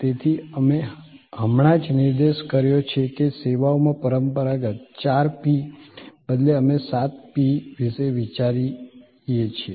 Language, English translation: Gujarati, So, we just pointed out that instead of the traditional four P’s in services, we think of seven P’s